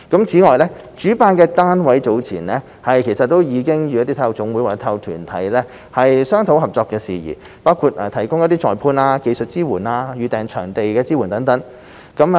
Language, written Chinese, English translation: Cantonese, 此外，主辦單位早前已與體育總會或體育團體商討合作事宜，包括提供裁判、技術支援及預訂場地支援等。, Separately the organizer has discussed with NSAs or sports organizations to explore possible cooperation including the provision of referee services technical support and venue booking support